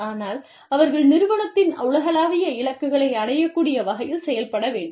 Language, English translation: Tamil, But, they also have to perform, in such a way, that they are able to achieve, the global goals of the organization